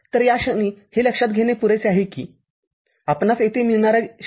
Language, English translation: Marathi, So, at this point it is sufficient to note that this 0